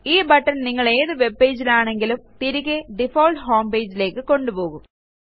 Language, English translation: Malayalam, This button takes you back to the default home page, from whichever webpage you are on